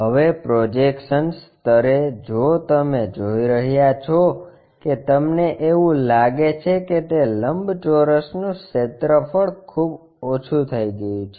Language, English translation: Gujarati, Now, at projection level if you are seeing that it looks like the area of that rectangle is drastically reduced